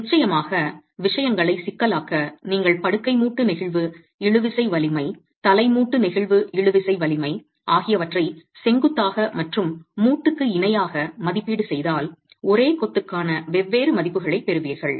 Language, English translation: Tamil, Of course, to complicate matters, if you were to make an estimate of bed joint flexual tensile strength, head joint flexual tensile strength perpendicular and parallel to the joint, you will get different values for the same masonry